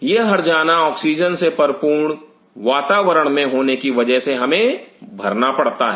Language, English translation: Hindi, That is the penalty we pay for being an oxygenated environment